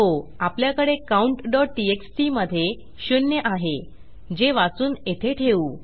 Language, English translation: Marathi, Yes, weve got count.txt with zero that will read this and put it into that